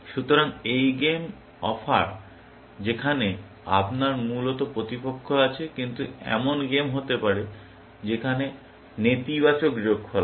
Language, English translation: Bengali, So, these are the game offers where, you have opponents, essentially, but there can be games, when there is negative sum